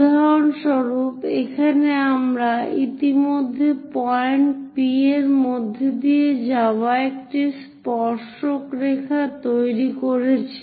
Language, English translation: Bengali, For example, here we have already have constructed a tangent line passing through point P